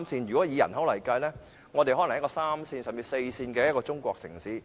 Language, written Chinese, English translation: Cantonese, 如果以人口來計算，我們可能是一個三線甚至四線的中國城市。, In terms of population Hong Kong may just qualify as a third - tier or even a fourth - tier Chinese city